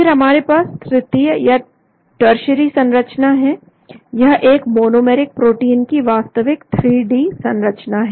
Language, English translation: Hindi, Then we have the tertiary structure, these are real 3D structures of this monomeric protein